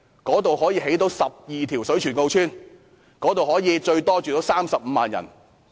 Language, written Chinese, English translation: Cantonese, 該處可以興建12條水泉澳邨，最多容納35萬人。, Twelve Shui Chuen O Estates can be built there accommodating up to 350 000 people